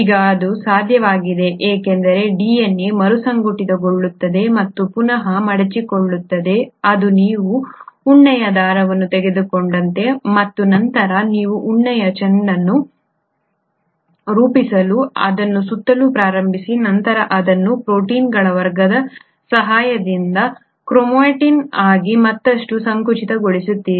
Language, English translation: Kannada, Now that is possible because the DNA gets reorganised and refolded it is like you take a thread of wool and then you start winding it to form a ball of wool and then further compact it with the help of a class of proteins which is what you call as a chromatin